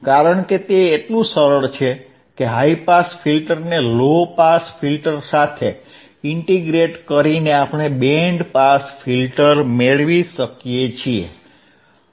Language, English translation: Gujarati, Because it is so simple that by integrating the high pass filter to the low pass filter we can get a band pass filter